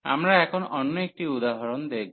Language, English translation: Bengali, So, we will take another example now